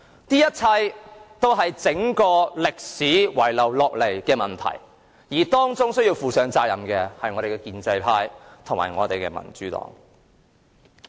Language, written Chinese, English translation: Cantonese, 這一切都是歷史遺留下來的問題，而當中需要負上責任的便是建制派和民主黨。, All of these are problems left over from history and the pro - establishment camp and the democratic camp should be held accountable